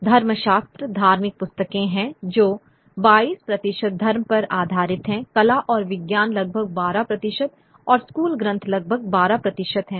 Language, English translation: Hindi, What was some of the other categories, theology, there is religious books which were books on religion, 22 percent, arts and science is about 12 percent and school texts about 12 percent